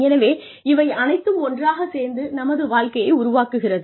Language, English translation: Tamil, So, all of this, put together, constitutes our career